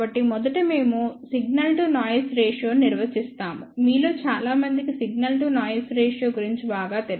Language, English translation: Telugu, So, first we will define signal to noise ratio, I am sure most of you are familiar with signal to noise ratio